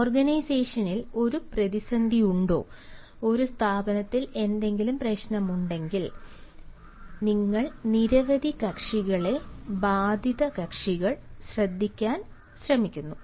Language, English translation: Malayalam, if there is ah a crisis in the organization, if there a problem in an institution, then we try to listen to several parties, the affected parties, i mean